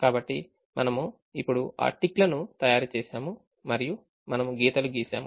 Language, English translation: Telugu, so we have now made that ticks and we have drawn the lines